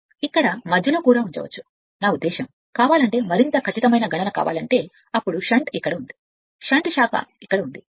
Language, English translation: Telugu, You can put it middle here, I mean if you want if you want more accurate calculation then you can put you can put the shunt branch is here, shunt branch is here